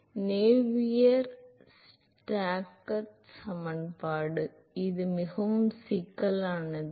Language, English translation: Tamil, Navier Stokes equation, well that is too complex